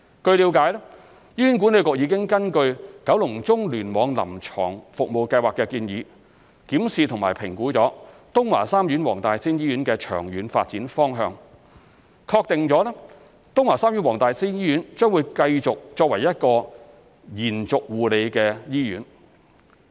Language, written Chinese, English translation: Cantonese, 據了解，醫管局已根據《九龍中聯網臨床服務計劃》的建議，檢視及評估東華三院黃大仙醫院的長遠發展方向，確定東華三院黃大仙醫院將繼續作為一所延續護理醫院。, It is understood that based on the Clinical Services Plan CSP for the Kowloon Central Cluster HA has evaluated and assessed the long - term development direction of WTSH . According to CSP WTSH will serve as an extended care hospital